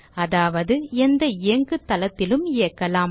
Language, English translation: Tamil, That is, on any Operating System